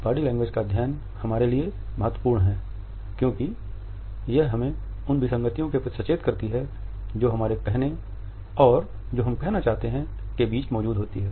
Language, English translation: Hindi, The study of body language is important for us as it alerts us to the inconsistencies, which exists between what one says and also what one conveys